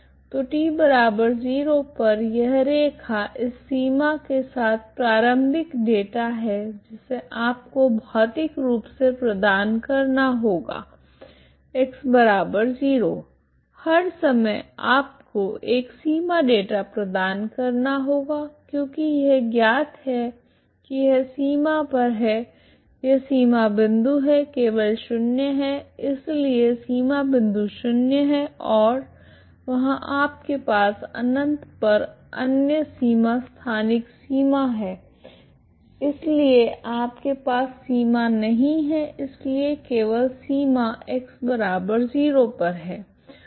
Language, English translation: Hindi, So at T equal to zero this line this with this boundary is initial data you have to provide physically here at X equal to 0 for all times you have to provide a boundary data ok because this is known this is at the boundary this is the boundary point is only zero ok, so the boundary point is zero and there you have other boundary spatial boundary at infinity so you don t have boundary there so the only boundary is at X equal to zero